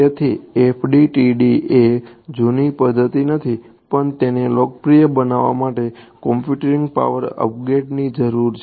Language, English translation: Gujarati, So, FDTD is not that old a method also its only a it needed a upgrade in computing power to become popular right